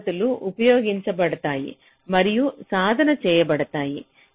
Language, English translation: Telugu, so these techniques are used and practiced